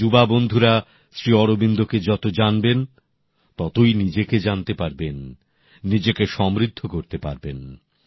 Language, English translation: Bengali, The more my young friends learn about SriAurobindo, greater will they learn about themselves, enriching themselves